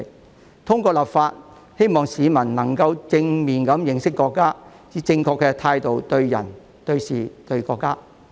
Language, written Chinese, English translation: Cantonese, 我們希望透過立法，令市民能夠正面認識國家，以正確的態度對人、對事和對國家。, It is our hope that through legislation members of the public can understand our country in a positive way and treat people things and our country with the correct attitude